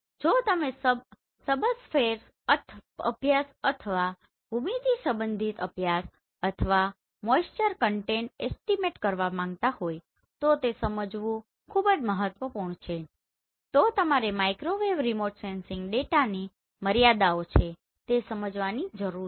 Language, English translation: Gujarati, So it is very important if you are going for subsurface studies or the geometry related studies or the moisture content estimation then you need to understand these are the limitations of the Microwave Remote Sensing data